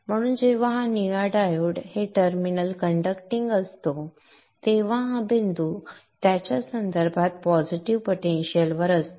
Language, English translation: Marathi, So when this blue diode is conducting this terminal, this point is at a positive potential with respect to this